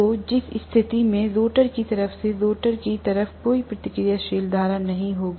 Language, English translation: Hindi, So in which case there will not be any reactive current on the stator side from the stator side